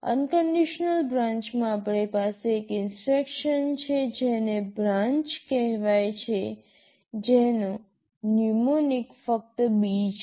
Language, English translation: Gujarati, In unconditional branch, we have an instruction called branch whose mnemonic is just B